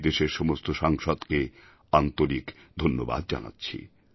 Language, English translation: Bengali, Today, I publicly express my heartfelt gratitude to all MP's